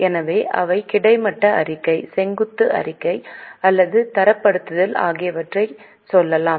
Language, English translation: Tamil, So, they may either go for horizontal statement, vertical statement or benchmarking